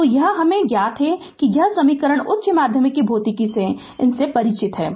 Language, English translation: Hindi, So, this is known to us this equation you are familiar with these from your higher secondary physics